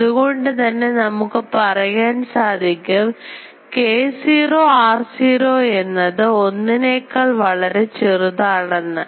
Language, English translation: Malayalam, So, can we say that k naught r naught that will be much much less than 1